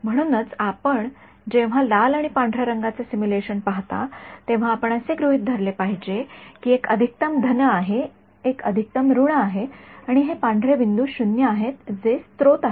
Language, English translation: Marathi, So, typically when you see a simulation of red and white then you should have assumed that one is maximum positive, one is maximum negative and white is 0 this dot that is the source